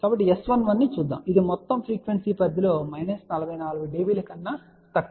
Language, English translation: Telugu, So, let us see S 1 1 which is less than minus forty 4 db over this entire frequency range which is from 0